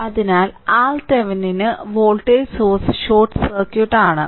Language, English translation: Malayalam, So, for R Thevenin that voltage source is short circuited right